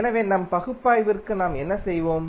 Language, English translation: Tamil, So, for our analysis what we will do